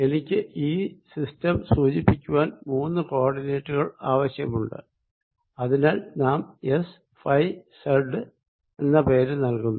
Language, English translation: Malayalam, i need three point to three coordinates to specify the system and we have given this name: s, phi and z